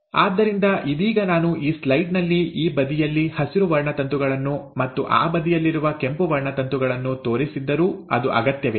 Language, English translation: Kannada, So right now, though I have shown in this slide, green chromosomes on this side and the red chromosomes on that side, it is not necessary